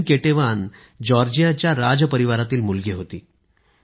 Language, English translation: Marathi, Queen Ketevan was the daughter of the royal family of Georgia